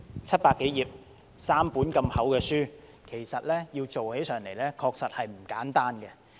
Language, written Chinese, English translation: Cantonese, 七百多頁 ，3 本如此厚的書，其實要做起上來確實不簡單。, The Bill contains some 700 pages in three thick volumes . It is indeed not an easy task